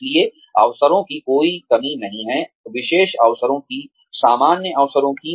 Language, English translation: Hindi, So, there is no dearth of opportunity, of specialized opportunities, of general opportunities